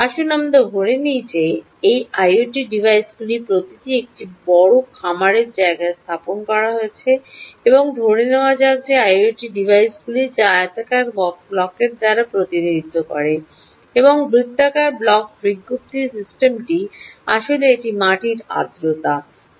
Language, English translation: Bengali, let's assume that each of these i o t devices are deployed in a large farm area and let's assume that these i o t devices, which is represented by this rectangular block and the circular block circular system, is actually a soil moisture block